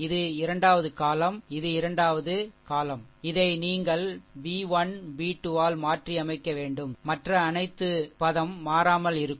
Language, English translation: Tamil, This is the second column, this is a second, this is that your second column, this one you replace by b 1, b 2 rest for a rest for all the a s element remain same